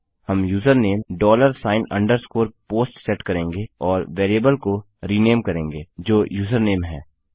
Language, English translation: Hindi, Well set user name as dollar sign underscore POST and rename the variable which is username